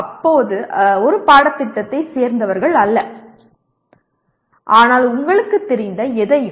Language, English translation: Tamil, They need not belong to a single course but anything that you are familiar with